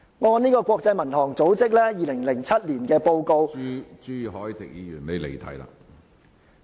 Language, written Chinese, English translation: Cantonese, 按照國際民航組織在2007年發出的報告......, According to a report by the International Civil Aviation Organization released in 2007